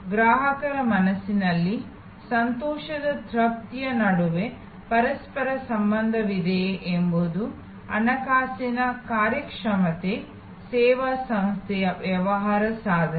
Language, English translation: Kannada, So, whether there is a correlation between delight satisfaction in the customers mind with the financial performance, business performance of service organization